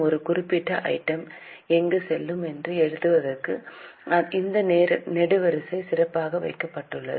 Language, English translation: Tamil, This column is specially kept for writing where a particular item will go